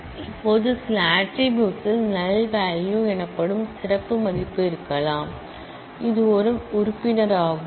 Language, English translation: Tamil, Now, some attribute may have a special value called the null value, which is the member